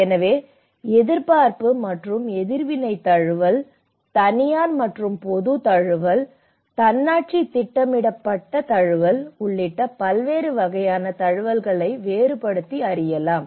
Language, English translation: Tamil, So, various types of adaptation can be distinguished including anticipatory and reactive adaptation, private and public adaptation and autonomous planned adaptation